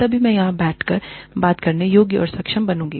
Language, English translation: Hindi, Only then will, I be qualified and competent enough, to sit here and talk